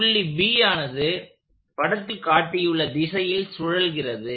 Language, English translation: Tamil, So, that is this point B is moving in this direction